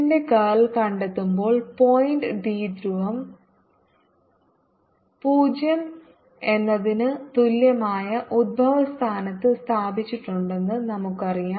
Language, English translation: Malayalam, now, in finding the curl of h, we know that the point dipole is placed at the origin, r equal to zero